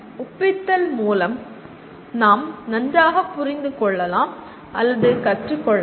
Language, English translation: Tamil, As we know through repetition we can understand or learn better